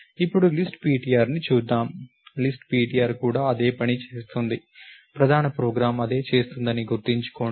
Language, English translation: Telugu, Now, let us look at list ptr, list ptr also does the same thing, remember the main program does the same